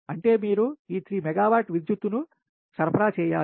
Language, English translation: Telugu, and that means you have to supply power, this three megawatts of power